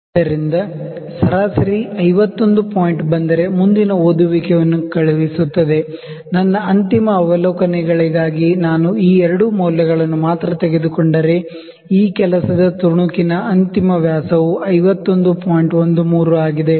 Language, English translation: Kannada, So, that average will send the next reading if it comes 51 point; if I take only these two readings as my final observations, the final dia of this work piece would be 51